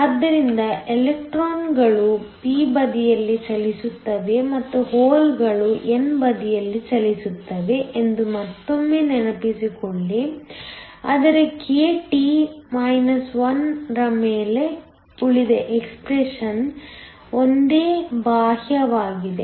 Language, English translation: Kannada, So, remember again the electrons are moving on the p side and the holes are moving on the n side, but the rest of the expression is the same external over k T 1